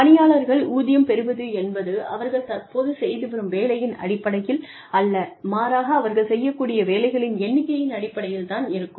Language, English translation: Tamil, Workers are paid, not on the basis of the job, they currently are doing, but rather on the basis of, the number of jobs, they are capable of doing